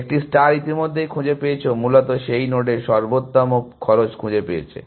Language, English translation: Bengali, A star has already find, found the optimal cost of that node essentially